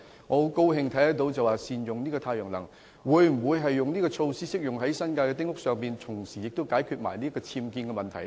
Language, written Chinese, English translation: Cantonese, 我很高興施政報告提出善用太陽能的建議，但這項措施是否適用於新界丁屋，以及能否同時解決僭建的問題？, I am so glad that the Policy Address has put forward the proposal of utilizing solar power . But is this initiative applicable to small houses in the New Territories and can it help tackle the problem of unauthorized building works at the same time?